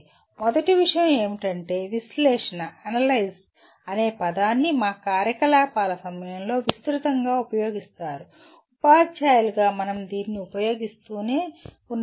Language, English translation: Telugu, First thing is the word analyze is extensively used during our activities; as teachers as students we keep using it